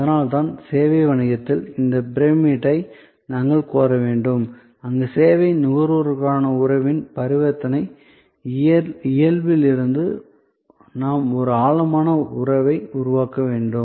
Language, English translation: Tamil, So, that is why in service business, we have to claim this pyramid, where from transactional nature of relation with the service consumer, we have to create a deeper relationship